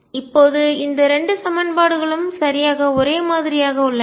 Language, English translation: Tamil, Now, these 2 equations are exactly the same